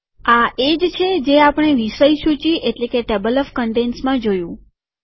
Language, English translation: Gujarati, This is similar to what we saw in table of contents